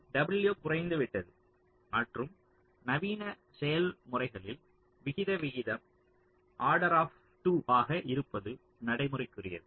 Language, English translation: Tamil, so w has gone down and in modern processes, ah, it is quite practical to have aspect ratio of the order of two